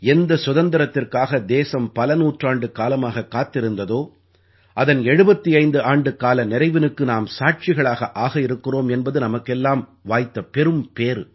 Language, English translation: Tamil, We are indeed very fortunate that we are witnessing 75 years of Freedom; a freedom that the country waited for, for centuries